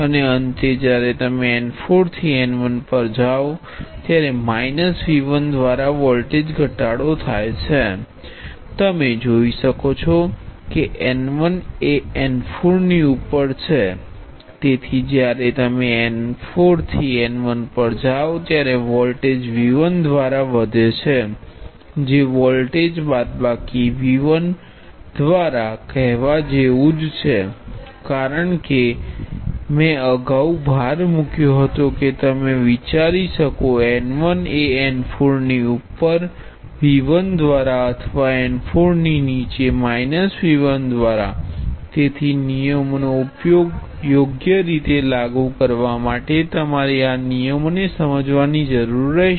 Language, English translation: Gujarati, And finally, when you go from n 4 to n 1 the voltage fall by minus V 1; you can see than n 1 is above n 4 so when you go from n 4 to n 1 the voltage rises by V 1 which is the same as saying the voltage fall by minus V 1 this is the reason I emphasized earlier that you can think of n 1 as being above n 4 by V 1 or below n 4 by minus V 1, so you will need to be comfortable with these conventions in order to apply the rules correctly